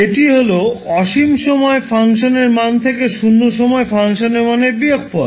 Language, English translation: Bengali, Or you can write the value of function at infinity minus value of function at zero